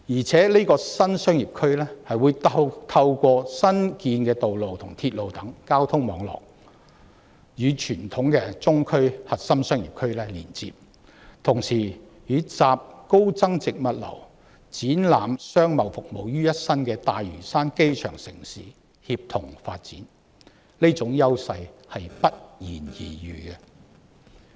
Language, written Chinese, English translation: Cantonese, 這個核心新商業區更可以透過新建道路及鐵路等交通網絡，與傳統的中區核心商業區連接，並同時與集高增值物流及展覽商貿服務於一身的大嶼山"機場城市"協同發展，這種優勢是不言而喻的。, Such a new CBD via transport networks such as newly built roads and railways can connect with the conventional CBD in Central while synergizing with Lantau Island the airport city that embodies high value - added logistics and exhibition and trading services . It is a self - evident advantage